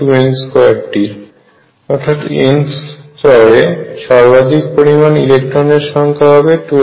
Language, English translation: Bengali, So, number of electrons maximum in the nth level is equal to 2 n square